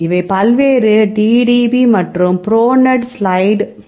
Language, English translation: Tamil, So, these are the various DDB and the pronate slide P GDB